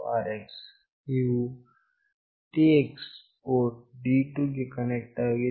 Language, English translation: Kannada, The TX is connected to port D2